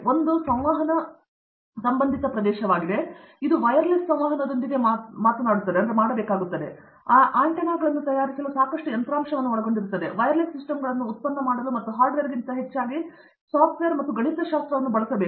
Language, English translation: Kannada, One is Communications related area, which is to do with wireless communications that involves lot of hardware to make those antennas, to make the wireless systems and more than hardware a lot of software and mathematics